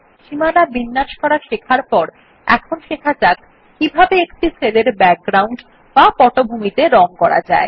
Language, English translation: Bengali, After learning how to format borders, now let us learn how to give background colors to cells